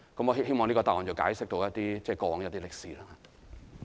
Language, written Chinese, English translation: Cantonese, 我希望這個答案能夠解釋過往一些歷史。, I hope that this answer can help explain some history